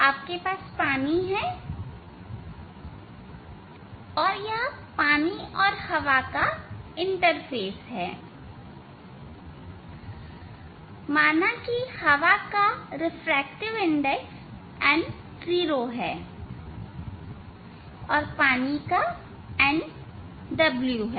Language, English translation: Hindi, you have water, and this is the interface of water and air; refractive index of air is, say n 0 and water is n w